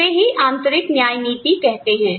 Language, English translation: Hindi, That is called internal equity